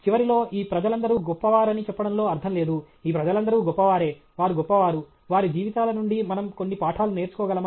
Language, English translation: Telugu, At the end of the day, there is no point in saying all these people were great, all these people were great okay; they are great; from their lives, can we learn some lessons